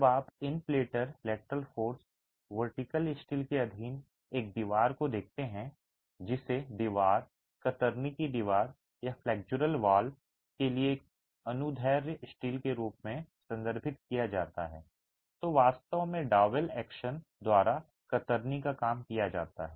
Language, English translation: Hindi, When you look at a wall subjected to in plain lateral forces, the vertical steel, what is referred to as the longitudinal steel for a wall, a shear wall or a flexural wall actually carries shear by double action